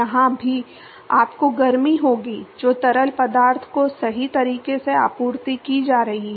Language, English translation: Hindi, Even here, you will have heat that is being supplied to the fluid right